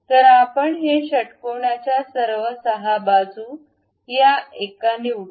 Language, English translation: Marathi, So, let us pick this one, this one, all the 6 sides of hexagon